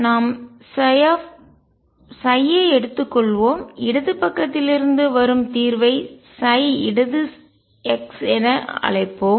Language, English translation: Tamil, We said let us take psi let me call the solution coming from the left side as psi left x